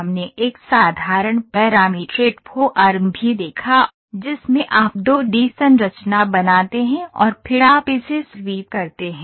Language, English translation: Hindi, We also saw a simple parametric form where in which you draw a 2 D structure and then you sweep it